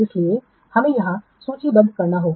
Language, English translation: Hindi, So that we have to write here